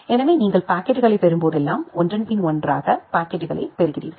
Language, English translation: Tamil, So, whenever you are getting the packets you are getting the packets one after another